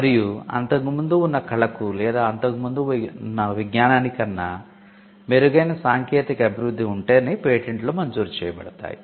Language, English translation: Telugu, Patents are granted only if there is a technical advancement and the technical advancement is made to the prior art or the prior knowledge